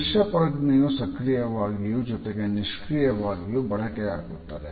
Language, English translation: Kannada, Our visual sense is used in an active manner as well as in a passive manner